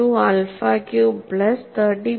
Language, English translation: Malayalam, 72 alpha cube plus 30